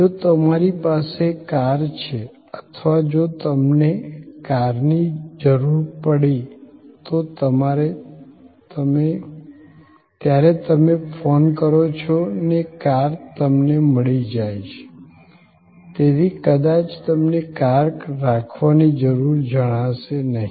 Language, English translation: Gujarati, If you have a car, whenever needed, you make an call, you will perhaps do not no longer feel the need of possessing a car